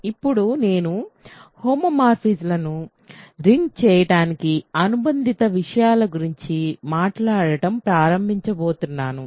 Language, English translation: Telugu, So, now, I am going to start talking about associated things to ring homomorphisms